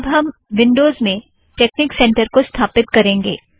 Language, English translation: Hindi, Next we will install texnic center in windows